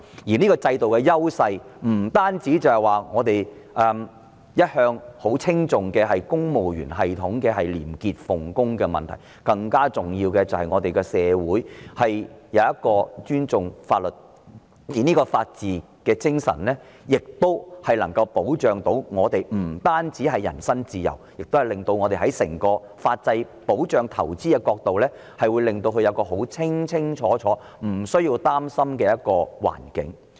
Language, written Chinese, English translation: Cantonese, 這種制度優勢不單是我們一向稱頌的公務員系統廉潔奉公，更重要的是我們的社會尊重法律，而這種法治精神不單能保障我們的人身自由，亦令整個法制在保障投資方面，提供一個清清楚楚、無須擔心的環境。, These advantages do not consist only of a civil service that is honest in performing its official duties something that we have all along sung praises of but more importantly our society respects the law and not only can this rule of law protect our personal freedom it also enables the whole legal system to provide a transparent setting free of concern about protection of investments